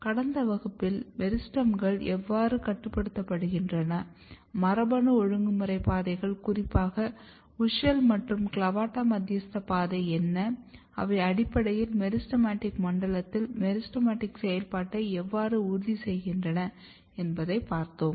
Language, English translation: Tamil, So, in last class we have seen how meristems are getting regulated, what are the genetic regulatory pathways particularly WUSCHEL and CLAVATA mediated pathway and how they basically ensures meristematic activity in the meristematic zone